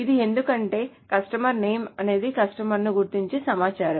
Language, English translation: Telugu, So that is the because because customer name is an identifying information for customers